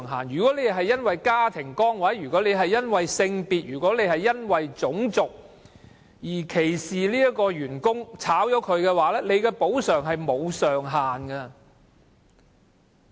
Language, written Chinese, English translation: Cantonese, 如果資方因為家庭崗位、性別或種族原因歧視某員工而將他解僱，須支付的補償金額沒有上限。, If an employee is dismissed on account of discrimination owing to his family status gender or race the employer will have to pay compensation and no ceiling amount has been set